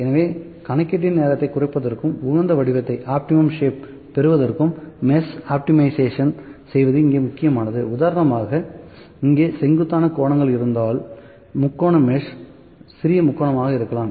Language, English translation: Tamil, So, optimization of mesh to reduce the time of computation and to get the optimum shape as well that is also important when instance if there steep angles here, the steep angles here the triangle mesh can be the smaller triangle